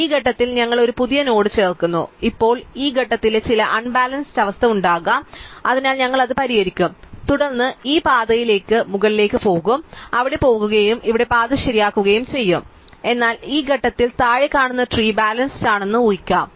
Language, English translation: Malayalam, So, this point we add a new node, so therefore now at this point there could be some imbalance, so we fix it, then we will go back to the up this path and we will go there and we will fix the path here, but at this point you will assume that the tree below has been balanced